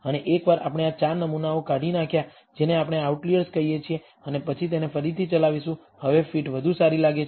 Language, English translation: Gujarati, And once we remove these 4 samples which we outliers and then rerun it, now the fit seems to be much better